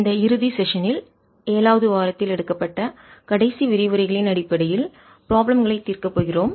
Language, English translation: Tamil, in this final session we are going to solve problems based on the last set of lectures in week seven